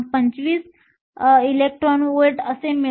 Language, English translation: Marathi, 25 electron volts